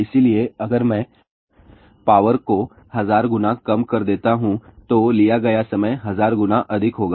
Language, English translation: Hindi, So, if I reduce the power by 1000 times then the time taken will be 1000 times more